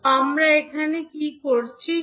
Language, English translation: Bengali, So, what we are doing here